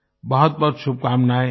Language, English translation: Hindi, Many best wishes